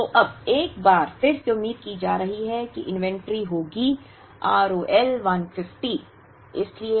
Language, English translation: Hindi, So, now once again expected inventory will be now, the R O L is 150